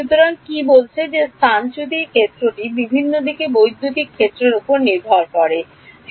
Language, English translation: Bengali, So, what is saying is that the displacement field can depend on electric field in different directions